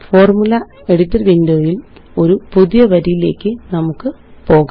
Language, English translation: Malayalam, Let us go to a new line in the Formula Editor Window